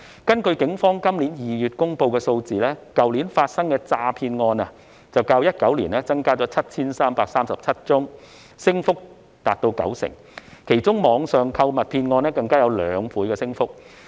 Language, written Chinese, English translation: Cantonese, 根據警方今年2月公布的數字，去年發生的詐騙案較2019年增加 7,337 宗，升幅達到九成，其中網上購物騙案更有兩倍的升幅。, According to the figures released by the Police in February this year the number of fraud cases increased by 7 337 or 90 % from 2019 to 2020 . Among them online shopping scams recorded a two - fold increase